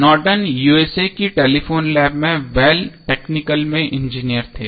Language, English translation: Hindi, So, Norton was an Engineer in the Bell Technical at Telephone Lab of USA